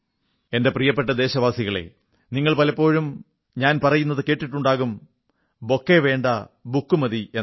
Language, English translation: Malayalam, My dear countrymen, you may often have heard me say "No bouquet, just a book"